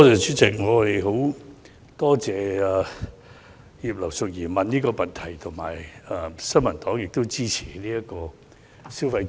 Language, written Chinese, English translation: Cantonese, 主席，我們十分感謝葉劉淑儀議員提出這項質詢，新民黨亦十分支持發放消費券。, President we are very grateful to Mrs Regina IP for raising this question . The New Peoples Party is very supportive to the proposal of handing out consumption vouchers